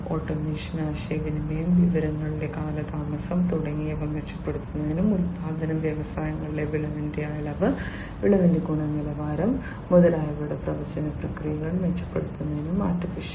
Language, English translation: Malayalam, AI for improving the automation, communication, delay of information etcetera and for improving the prediction processes in terms of quantity of yield, quality of yield etcetera in the manufacturing industries